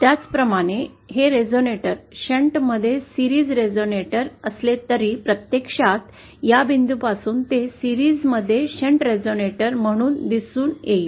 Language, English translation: Marathi, From this point, even though this is a series resonator in shunt, it actually appears as a shunt resonator in series from this point